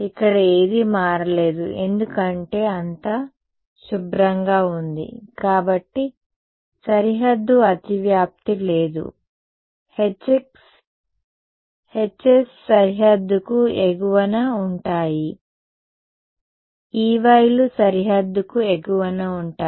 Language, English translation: Telugu, Nothing changed here because it is all clean there is no overlap with the boundary right the Hs are above the boundary the Es are E ys are above the boundary